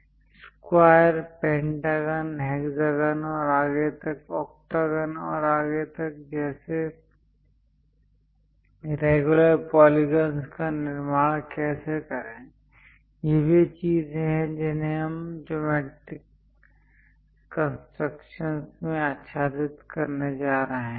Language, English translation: Hindi, And how to construct regular polygons like square, pentagon, hexagon and so on octagon and so on things; these are the things what we are going to cover in geometric constructions